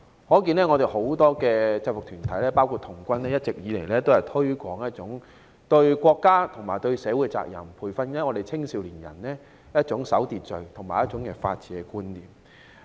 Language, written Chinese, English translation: Cantonese, 由此可見，很多制服團體，包括童軍，一直以來都推廣一種對國家和社會責任，培訓青少年人一種守秩序和法治觀念。, One can see that many UGs including scout groups have all along been promoting national and social responsibility and nurturing young people with the good values of observing law and order and the spirit of rule of law